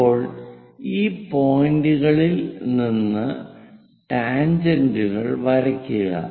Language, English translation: Malayalam, Now, draw tangents to these points